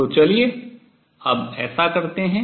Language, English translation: Hindi, So, let us do that now